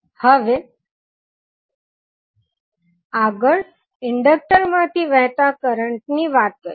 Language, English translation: Gujarati, Now, next the value of current flowing through the inductor